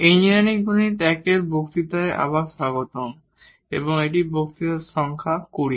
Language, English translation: Bengali, Welcome back to the lectures on Engineering Mathematics I and this is lecture number 20